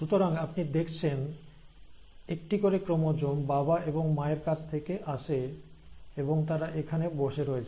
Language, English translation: Bengali, So you have a chromosome coming from father, and a chromosome coming from mother, and they are sitting here together